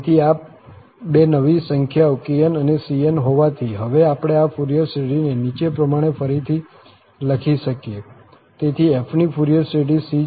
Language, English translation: Gujarati, So, having these two or new numbers kn and the cn, we can now rewrite this Fourier series as follows